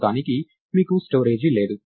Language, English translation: Telugu, As of now, you don't have a storage